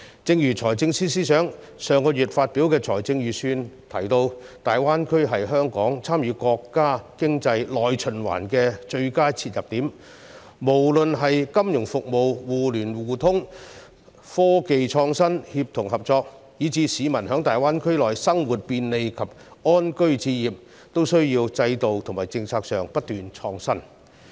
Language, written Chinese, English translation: Cantonese, 正如財政司司長上月發表的財政預算案提到，大灣區是香港參與國家經濟內循環的最佳切入點，無論是金融服務、互聯互通、科技創新、協同合作，以至是市民在大灣區內生活便利及安居置業，均需要在制度和政策上不斷創新。, As mentioned in the Budget by the Financial Secretary last month the Greater Bay Area is the best entry point for Hong Kong to participate in the domestic circulation of our countrys economy be it for the mutual market access for financial services and products cooperation and collaboration in respect of innovation and technology or peoples stay and living in the Greater Bay Area